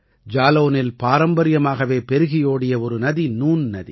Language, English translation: Tamil, There was a traditional river in Jalaun Noon River